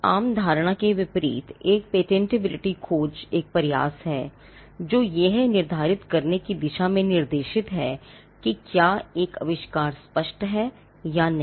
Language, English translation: Hindi, Contrary to popular belief, a patentability search is an effort, that is directed towards determining whether an invention is obvious or not